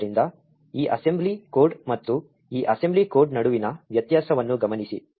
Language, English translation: Kannada, So, notice the difference between this assembly code and this assembly code